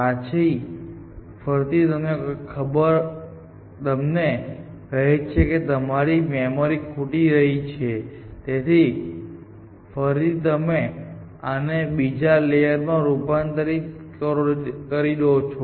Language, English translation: Gujarati, Then, again some somebody tells you are running out of memory, so again you covert this into another layer